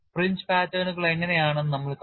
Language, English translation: Malayalam, We will see how the fringe patterns look like